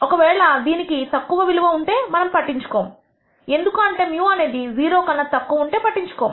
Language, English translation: Telugu, If it has a low value we are not bothered because we are not bothered when mu is less than 0